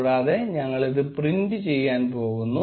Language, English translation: Malayalam, And we are going to print this